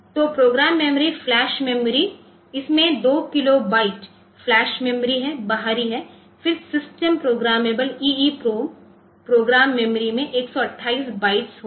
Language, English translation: Hindi, kilobytes of flash there is outer then 128 bytes of in system programmable EEPROM program memory will be there